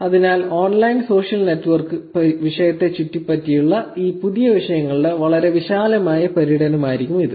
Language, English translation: Malayalam, So, this will be a very broad tour of these new topics that are popping up around the online social network topic